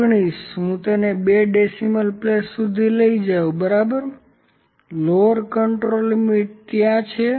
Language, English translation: Gujarati, 219 so let me bring it back to the second place of decimal, ok, lower control limit is there